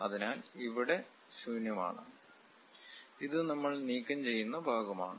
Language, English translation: Malayalam, So, we have empty here and this is the part which we are removing